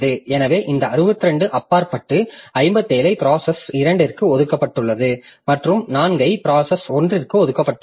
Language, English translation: Tamil, So out of this 62, 57 are allocated to process A2 and 4 are allocated to process 1